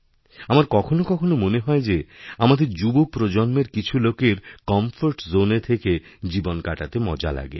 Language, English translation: Bengali, I am sometimes worried that much of our younger generation prefer leading life in their comfort zones